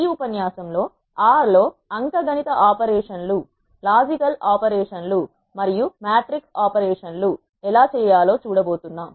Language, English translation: Telugu, In this lecture we are going to see how to do arithmetic operations, logical operations and matrix operations in R